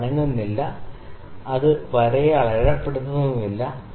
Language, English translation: Malayalam, It is not moving; it is not marking the line